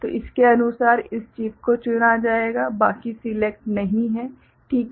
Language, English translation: Hindi, So, according this chip will be selected; rest are not selected, ok